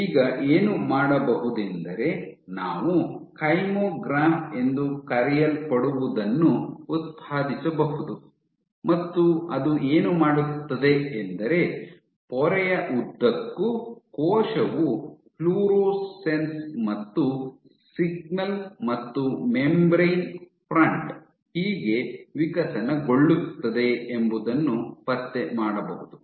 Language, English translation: Kannada, So, what you can do you can generate what is called a Kymograph, and what the kymograph does is along a very small length of it, along a very small length of the membrane the cell tracks how the florescence and signal and the membrane front evolve